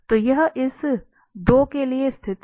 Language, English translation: Hindi, So that will be this point